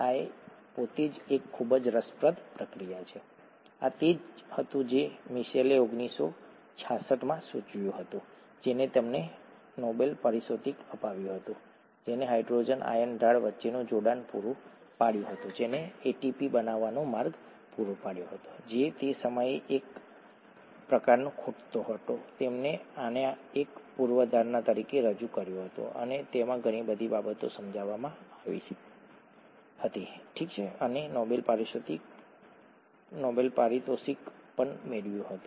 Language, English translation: Gujarati, This by itself is a very very interesting process, this was what Mitchell proposed, I think in 1966 which won him the Nobel Prize, which provided the coupling between the hydrogen ion gradient and or which provided the a way by which ATP can be made which was kind of missing at that time; he proposed this as a hypothesis and (it’s it) it explained a lot of things, okay, and won the Nobel Prize also